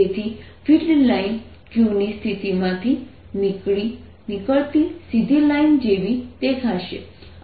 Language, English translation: Gujarati, so the field lines are going to look like straight lines emanating from the position of q